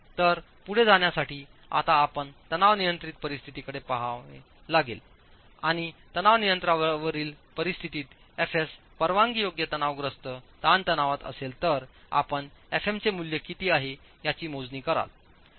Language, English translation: Marathi, So to proceed we now have to look at a tension controlled scenario and from the tension control scenario, SS being the permissible tensile stress, you will then calculate how much is the value of FM